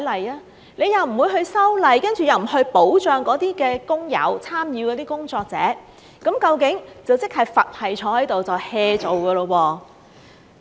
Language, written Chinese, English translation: Cantonese, 政府又不修例，又不保障那些工友、參與的工作者，佛系地坐在那裏 "hea 做"。, But the Government has not amended the laws nor has it done anything to protect these workers or people in the industry except doing its job in a nonchalant manner